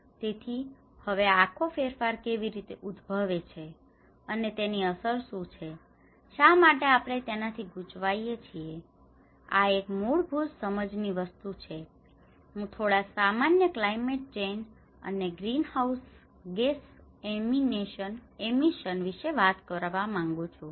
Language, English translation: Gujarati, So now, how this whole change is caused and what is the impact, why we should bother about this; this is one thing from a basic understanding, I need to talk about some very basics of the climate change and the greenhouse gas emissions